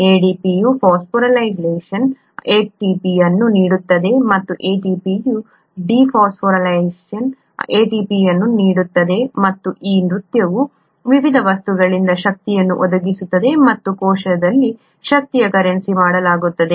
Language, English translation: Kannada, Phosphorylation of ADP yields ATP, and dephosphorylation of ATP yields ADP and it is this dance that provides the energy for various things and also makes the energy currency in the cell